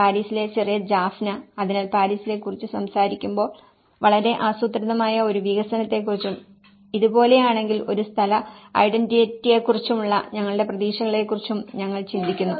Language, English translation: Malayalam, The little Jaffna in Paris, so the moment we talk about the Paris, we think of a very planned development and our expectation of a place identity if it looks like this